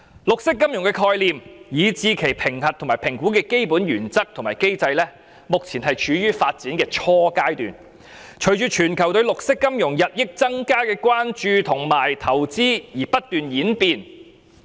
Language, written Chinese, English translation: Cantonese, 綠色金融的概念，以至其評核與評估的基本原則及機制，目前正處於發展初階，並隨着全球對綠色金融日益增加的關注和投資而不斷演變。, The concept of green finance as well as the underlying principles and mechanisms for assessment and evaluation is now at the nascent stage of development and keeps on evolving as it attracts more public attention and increased investment from around the world